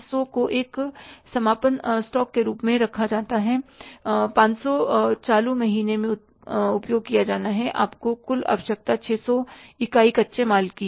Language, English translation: Hindi, 100 to be kept as a closing stock, 500 to be used in the current month, your total requirement is of the 600 units of raw material